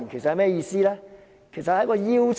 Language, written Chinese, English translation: Cantonese, 主席，那其實是一個邀請。, President it is actually an invitation